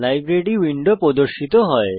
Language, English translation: Bengali, The Library window opens